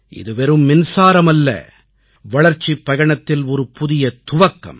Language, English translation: Tamil, This is not just electricity, but a new beginning of a period of development